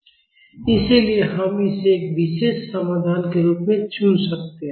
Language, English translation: Hindi, So, we can choose this as a particular solution